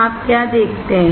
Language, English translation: Hindi, What do you see